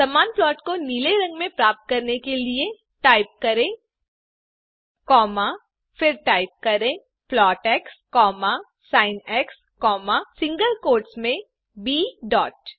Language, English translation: Hindi, To get the same plot in blue color type clf, then type plot x, sin,within single quotes b dot